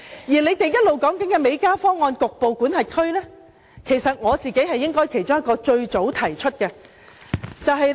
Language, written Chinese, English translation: Cantonese, 反對派提出的美加方案，其實我是其中一個最早提出此方案的人。, The opposition proposes the approach adopted between the United States and Canada . In fact I am among the first persons who propose this approach